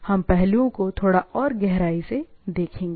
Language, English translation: Hindi, We want to look into deep into the aspects